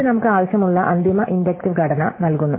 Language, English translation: Malayalam, So, this gives us the final inductive structure that we want